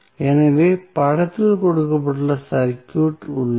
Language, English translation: Tamil, So, we have the circuit given in the figure